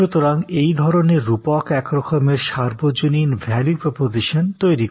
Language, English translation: Bengali, So, these metaphors in a way it create value propositions, which are universal in nature